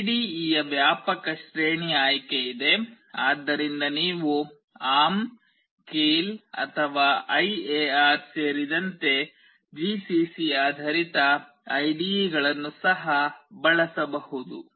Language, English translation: Kannada, There is a wide range of choice of IDE, so you can also use ARM Keil or GCC based IDE’s including IAR